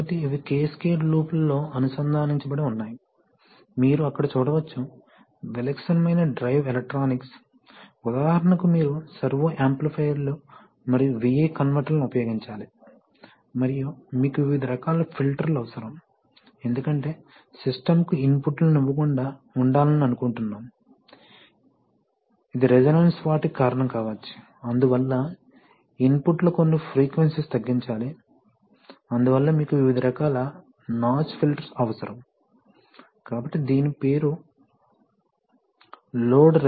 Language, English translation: Telugu, So these are connected in cascade loops, you can see there, we will not do it in much detail but the typical drive electronics, so you use all that i wanted to show is that, you have to, there are certain elements, for example you have to use servo amplifiers and V I converters and then you need various kinds of filters because, specifically because you do not, you want to avoid giving inputs to your system which may cause things like resonance, so for that, from that point of view you have to, you have to cut out certain frequencies in your input and that is why you need various kinds of notch filter, so this is, this name is a load resonance notch